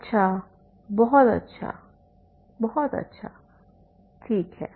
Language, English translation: Hindi, Very good, very good